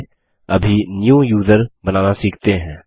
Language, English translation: Hindi, Lets now learn how to create a New User